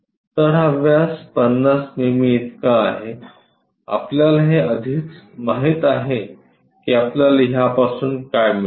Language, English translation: Marathi, So, this diameter is 50 mm we already know which we will get it from this